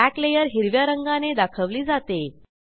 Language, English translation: Marathi, Back layer is represented by green colour